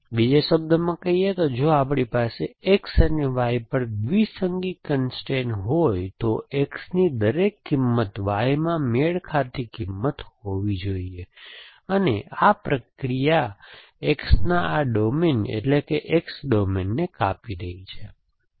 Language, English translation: Gujarati, In other words, if we have a binary constrain over X and Y, then every value of X should have a matching value in Y and this procedure revise is pruning this domain X domain of X